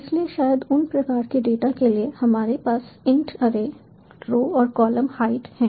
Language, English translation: Hindi, so maybe for those types of data we have int array, row, column, height